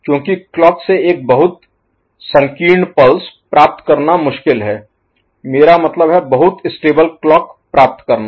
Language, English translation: Hindi, So, because directly getting a clock with a very narrow pulse is difficult, I mean, getting very stable clock